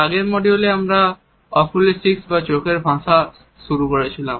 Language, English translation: Bengali, In the previous module we had introduced Oculesics or the language of the eyes